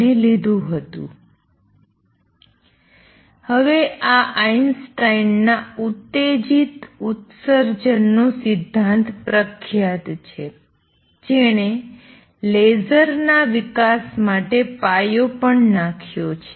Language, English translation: Gujarati, And is now famous Einstein’s theory of stimulated emission this also laid foundations for development of lasers